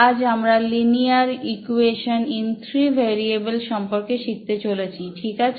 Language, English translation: Bengali, Today we are going to learn linear equation in three variables, ok all right